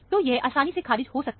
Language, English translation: Hindi, So, this can be easily ruled out